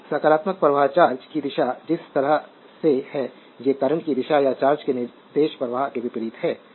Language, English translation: Hindi, So, the way the direction of the positive flow charge is these are the direction of the current or the opposite to the directive flow of the charge